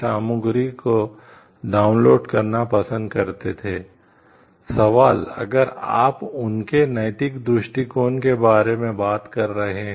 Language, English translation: Hindi, Question if you are talking of the ethical perspective of it